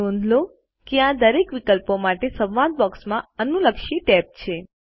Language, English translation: Gujarati, Notice that there is a corresponding tab in the dialog box for each of these options